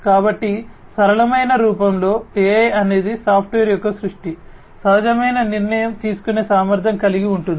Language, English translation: Telugu, So, in simplistic form AI is a creation of software, having intuitive decision making capability